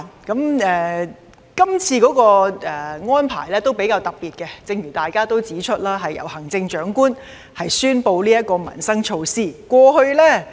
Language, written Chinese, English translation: Cantonese, 這次的安排較為特別，正如大家指出，是由行政長官宣布這項民生措施。, The arrangement of this time is rather special in that as pointed out by Members it was the Chief Executive who announced this livelihood initiative